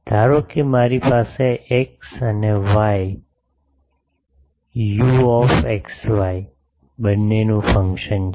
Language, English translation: Gujarati, Suppose I have a function of both x and y, u x and y